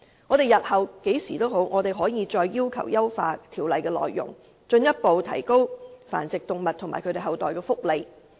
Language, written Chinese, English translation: Cantonese, 日後不論何時，我們仍然可以要求優化《修訂規例》的內容，進一步提高繁殖動物和其後代的福利。, We may at any time in the future seek to refine the Amendment Regulation to further enhance the welfare of dogs kept for breeding and their offspring